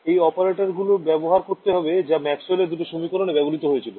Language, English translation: Bengali, I have to use those operators which I have defined and use the two Maxwell’s equations ok